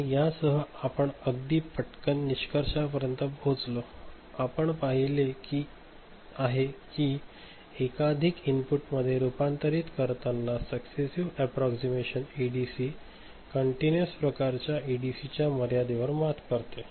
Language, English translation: Marathi, And with this we come to the conclusion and very quickly we have seen that successive approximation type ADC overcomes the limit of continuous type ADC when converting multiple inputs